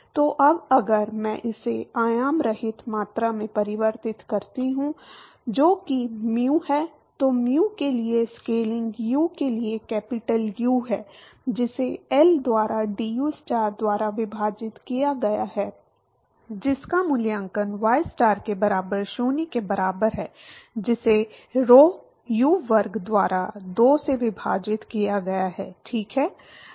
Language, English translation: Hindi, So, now, if I convert this into dimensionless quantities that is mu, mu the scaling for U is capital U divided by L into dustar by dystar evaluated at y star equal to 0 divided by rho U square by 2, right